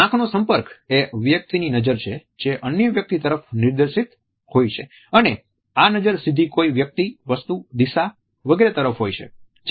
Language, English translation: Gujarati, Eye contact is gaze which is directed towards another person and gaze is directly looking at any person object direction etcetera